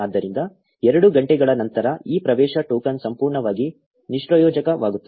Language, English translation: Kannada, So, after 2 hours, this access token becomes totally useless